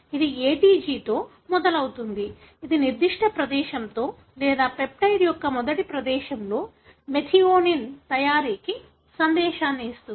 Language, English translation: Telugu, It starts with ATG which itself gives you a message for making methionine in that particular place or the first space of the peptide